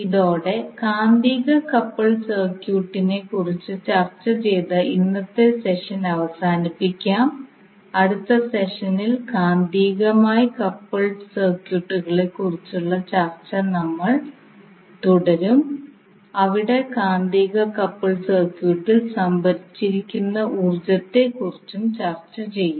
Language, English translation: Malayalam, So with this we can close our today’s session where we discussed about the magnetically coupled circuit we will discuss, we will continue our discussion on the magnetically coupled circuits in the next session also where we will discuss about the energy stored in the magnetically coupled circuit and then we will also see the ideal transformer and its various equations thank you